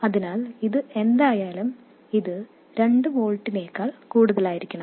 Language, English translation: Malayalam, So, whatever this is, this has to be greater than 2 volts